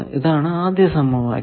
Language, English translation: Malayalam, This we are calling first equation